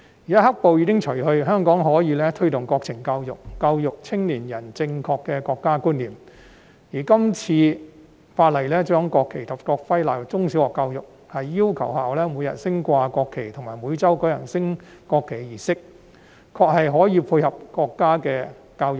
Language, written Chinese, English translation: Cantonese, 現在"黑暴"已除，香港可以推動國民教育，教育青年人正確的國家觀念，而今次《條例草案》規定將國旗及國徽納入中小學教育，要求學校每日升掛國旗及每周舉行升國旗儀式，確實可以配合國家的國情教育。, Now that the black - clad riot has been put to a stop Hong Kong can promote national education to teach young people the right sense of national identity . The inclusion of national flag and national emblem in primary education and secondary education and the requirement for schools to raise and display national flag daily and to conduct a national flag raising ceremony weekly as stipulated in the Bill this time can align with the national education in our country indeed